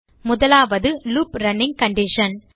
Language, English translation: Tamil, First is the loop running condition